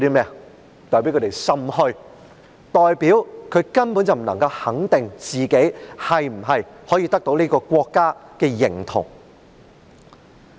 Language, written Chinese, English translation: Cantonese, 這代表他們心虛，他們根本不能肯定自己是否可以得到國民的認同。, It means that they have a guilty conscience . They simply cannot be certain about whether they can command support from the people